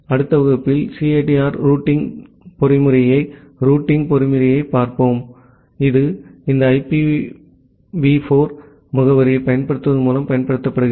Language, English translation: Tamil, In the next class, we will look into the routing mechanism the CIDR routing mechanism, which is being utilized on by using this IPv4 addressing